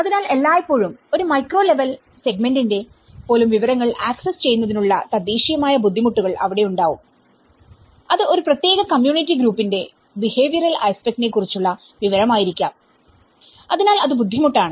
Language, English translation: Malayalam, So, there is always an indigenous, the difficulties in accessing the information of even a micro level segment it could be an information about a behavioural aspect of a particular community group, so that becomes difficult